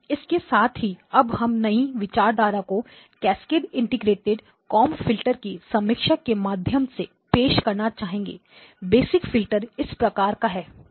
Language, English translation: Hindi, So with that we would like to now introduce the new concept by the way review of the cascaded integrated comb filters, basic filter is of this type